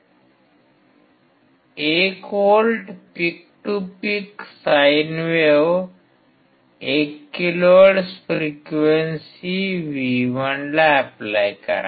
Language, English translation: Marathi, Apply 1 volt peak to peak sine wave at 1 kilohertz to V1